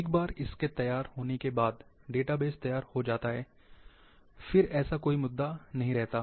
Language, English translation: Hindi, Once the setup is ready,database is ready, then that issue will not come